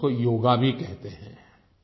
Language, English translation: Hindi, Some people also call it Yoga